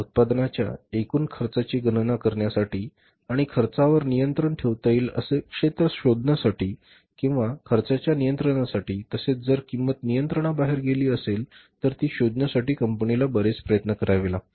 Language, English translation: Marathi, The firm has to make lot of efforts to calculate the total cost of the product and find out those areas where the cost can be controlled or if the cost is going out of control how to control it